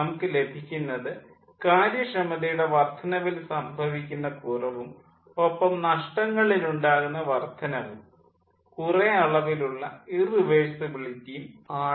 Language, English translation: Malayalam, we are getting an diminishing increase in efficiency and rather ah increase in the ah losses and some amount of irreversibility